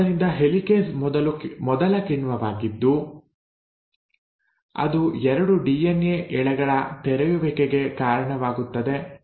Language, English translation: Kannada, So the helicase is the first enzyme which comes in and it causes the unwinding of the 2 DNA strands